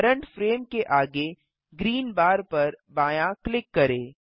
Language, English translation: Hindi, Left click the green bar next to current frame